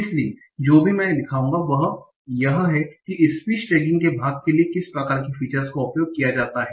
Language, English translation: Hindi, So what I will show is that what kind of features they are used for part of speech tagging